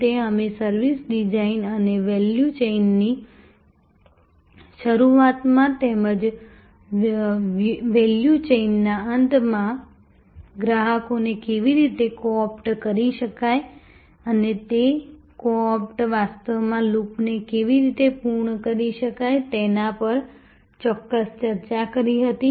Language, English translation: Gujarati, We had a specific discussion on service design and how customers can be co opted in the beginning of the value chain as well as the end of the value chain and can how those co options can actually complete the loop